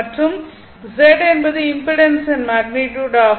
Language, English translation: Tamil, And Z is the magnitude of the impedance